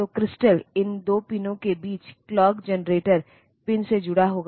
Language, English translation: Hindi, So, crystal will be connected between these 2 pins the clock generator pin